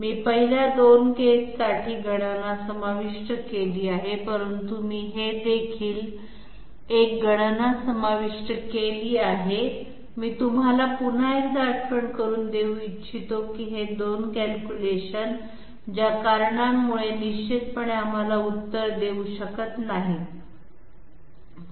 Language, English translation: Marathi, I have included the calculation for the first 2 cases, but I also include this particular I would like to remind you once again that these two can definitely not give us the answer for the reasons that we discussed just now